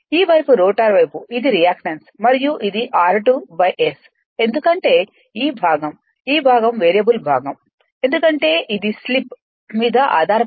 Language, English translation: Telugu, And this side is the rotor side, this is reactance and this is your r 2 dash by S that your that because that your this part, this part is a variable part it depends on the slip right